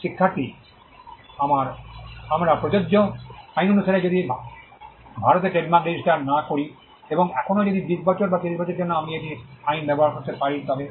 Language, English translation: Bengali, Student: With the law of we applicable, if I do not register a trademark in India and still for if a long time for 20 years, or 30 years can I use it law of